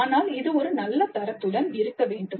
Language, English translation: Tamil, But this must be of a good quality